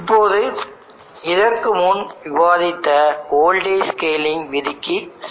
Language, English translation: Tamil, Now let us go back to the voltage scaling rule which we just now discussed